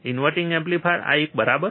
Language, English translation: Gujarati, Inverting amplifier, this one, right